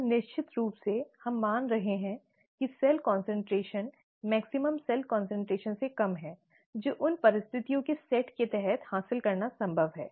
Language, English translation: Hindi, And of course, we are assuming that the cell concentration is less than the maximum cell concentration that is possible to achieve under those set of conditions